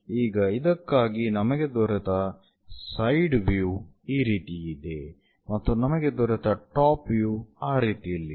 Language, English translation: Kannada, For this one similarly, the side view what we got is this one and the top view what we got is in that way